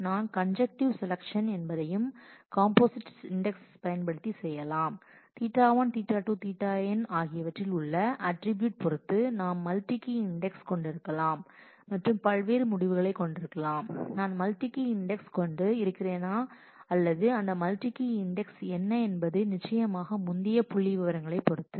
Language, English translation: Tamil, You can also do conjunctive selection using composite index we can there are depending on the attributes involved in theta 1, theta 2, theta n we may have a multi key index and that decision of course, as to whether I have a multi key index or what is that multi key index is of course, dependent on the earlier statistics